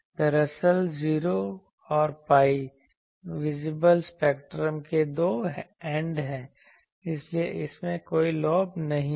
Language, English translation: Hindi, Actually, 0 and pi are the two ends of the visible spectrum so, that is why it does not have any a lobe